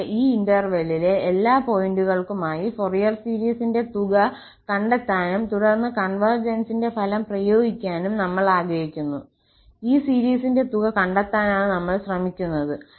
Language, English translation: Malayalam, And, we want to find the sum of the Fourier series for all points in this interval and then applying the result on the convergence, we want to find the sum of this series here